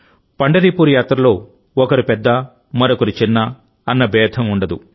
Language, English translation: Telugu, In the Pandharpur Yatra, one is neither big nor small